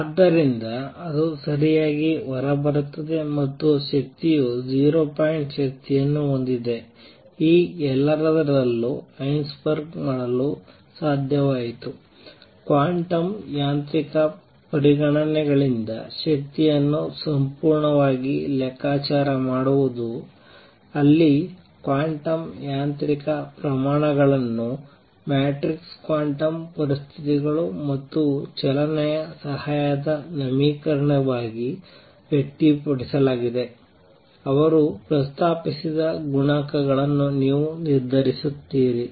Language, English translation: Kannada, So, that comes out correctly and the energy has 0 point energy what Heisenberg has been able to do in all this is calculate the energy purely from quantum mechanical considerations, where the quantum mechanical, quantities are expressed as matrices quantum conditions and equation of motion help you determine these coefficients that he proposed